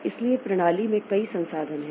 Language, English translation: Hindi, So, there are several resources in the system